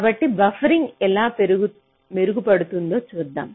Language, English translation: Telugu, so lets see how buffering can improve, improve